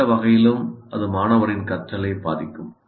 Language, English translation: Tamil, In either way, it will influence the learning by the student